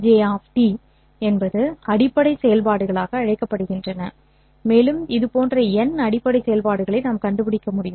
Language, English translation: Tamil, These phi j of t are called as basis functions and we should be able to find n such basis functions